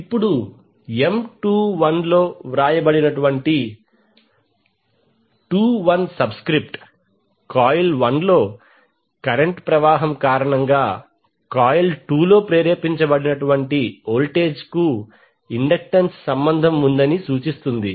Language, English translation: Telugu, Now the subscript that is 21 written in M21 it indicates that the inductance relates to voltage induced in coil 2 due to the current flowing in coil 1